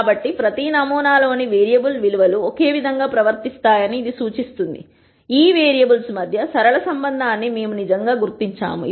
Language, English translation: Telugu, So, this implies that the variable values in each sample behave the same so, we have truly identified a linear relationship between these variables